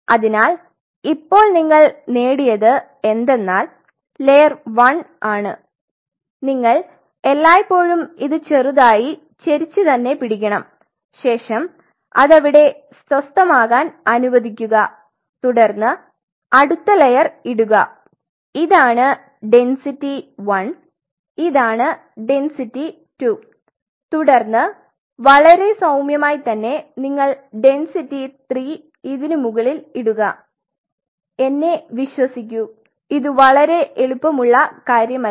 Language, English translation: Malayalam, So, what you achieve is that this is the layer one and you have to always keep it tilt slightly slowly allow it to inner settle down then put the next layer this is your this is density 1 this is density 2, then you put on top of that density 3 and it has to be done very gently trust me this is not something very easy